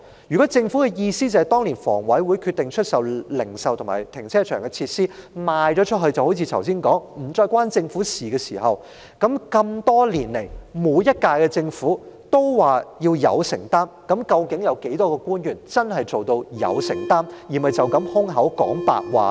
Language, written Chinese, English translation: Cantonese, 如果政府的意思是，在房委會當年決定出售零售及停車場設施後，事情就如剛才所說般再與政府無關，那何以多年來每屆政府也說要有承擔，而當中有多少官員真的做到有承擔，而不是空口說白話呢？, If the Government is meant to say that after the sale of retail facilities and car parks by HA back then the Government is dissociated from these issues as mentioned earlier why has each of the previous terms of Government committed to shouldering the responsibility and how many of the government officials have honoured their words in shouldering the responsibility instead of paying lip service?